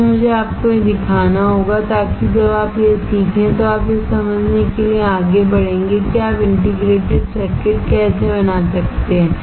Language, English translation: Hindi, Why, I have to teach you that, so that when you learn that, you will be you will moving forward to understand how you can fabricate integrated circuit